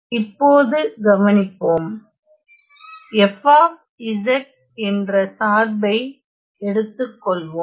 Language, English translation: Tamil, Now notice let us take let us take a function f of z